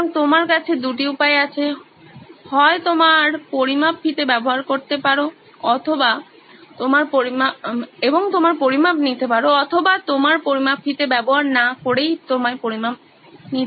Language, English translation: Bengali, So you have 2 choices you can either use your measuring tape and take your measurements or don’t use your measuring tape and take your measurements